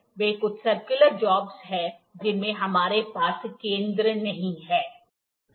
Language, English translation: Hindi, They are certain circular jobs in which we do not do not have the center